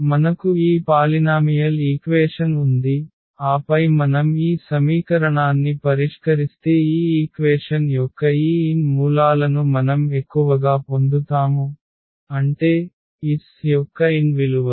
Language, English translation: Telugu, So, we have this polynomial equation and then if we solve this equation we will get at most these n roots of this equation; that means, the n values of the lambdas